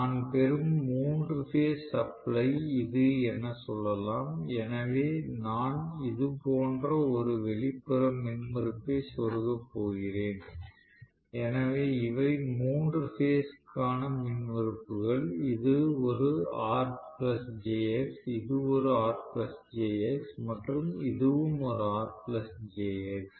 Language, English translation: Tamil, Let us say here is the three phase supply I am getting, so I am going to insert one external impedance like this, so these are the three phase impedances, so I would say R plus jx this is also some R plus jx and this also some r plus jx